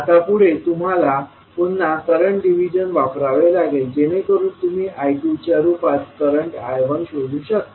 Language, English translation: Marathi, Now, next again you have to use the current division, so that you can find the value of current I 1 in terms of I 2